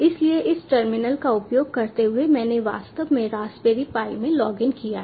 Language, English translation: Hindi, so using this terminal i have actually logged into the raspberry pi, as you can see over here, pi at the rate, raspberry pi